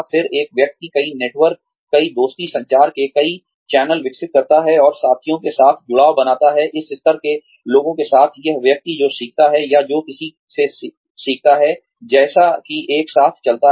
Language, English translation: Hindi, Then, one develops, multiple networks, multiple many networks, many friendships, many channels of communication, and forms associations with peers, with people at the same level, as this person, who can teach or who one learns from, as one goes along